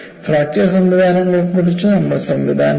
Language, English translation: Malayalam, Now, we move on to fracture mechanisms